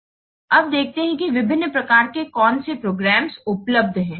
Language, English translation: Hindi, Now let's see what are the different types of programs available